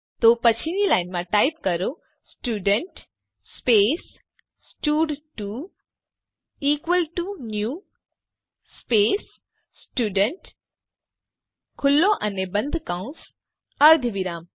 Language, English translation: Gujarati, So type next lineStudent space stud2 equal to new space Student , opening and closing brackets semicolon